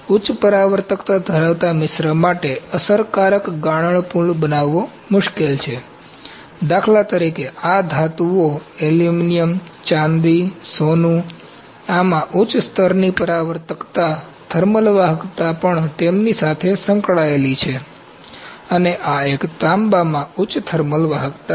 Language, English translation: Gujarati, Creating an effective melt pool is difficult for alloys that have high reflectivity, these metals for instance, aluminuim, silver, gold, these have high level of reflectivity high thermal conductivities also associated with them and this one, copper is having high thermal conductivity